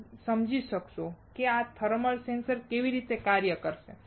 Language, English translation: Gujarati, You will understand how this thermal sensor would work